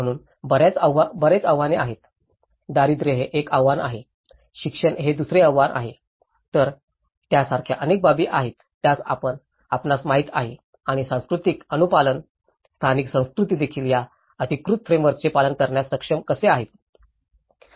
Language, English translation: Marathi, So, there have been many challenges, poverty being one of the challenge, education being another challenge, so like that, there are many aspects which and the cultural compliance you know, how the local cultures also able to comply with these authoritative frameworks